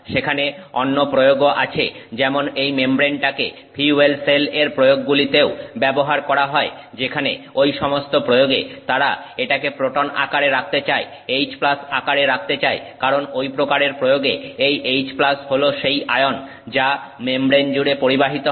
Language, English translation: Bengali, There are other applications for example this membrane is also used in fuel cell applications where in those applications they want it to remain in the proton form in the H plus form because the H plus is the ion that is getting conducted across the membrane for that application